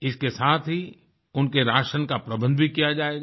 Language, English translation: Hindi, In addition, rations will be provided to them